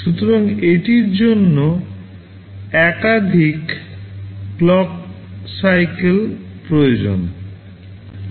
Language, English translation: Bengali, So, it will need multiple clock cycles